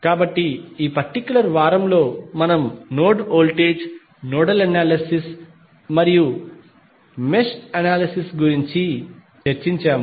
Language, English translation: Telugu, So, in this particular week we discussed about node voltage, nodal analysis and mesh analysis